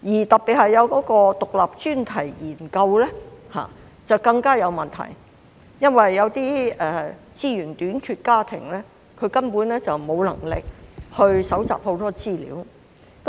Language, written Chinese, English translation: Cantonese, 獨立專題研究方面的問題更大，因為資源短缺的家庭根本沒有能力搜集大量資料。, The problem is even greater when it comes to the Independent Enquiry Study because less - resourced families cannot afford to collect massive data